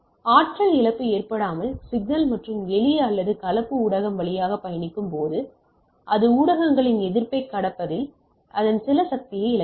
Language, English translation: Tamil, In case of attenuation loss of energy, when the signal and the simple or composite travel through the media, it losses some of its energy in the in overcoming the resistance of the media